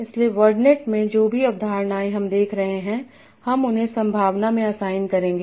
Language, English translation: Hindi, So, so in the word net, whatever concepts we are seeing, we will assign them a probability